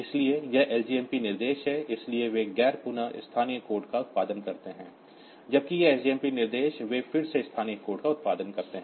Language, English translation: Hindi, So, this ljmp instruction, so they produce non re locatable code; whereas, this sjmp instruction they produce re locatable code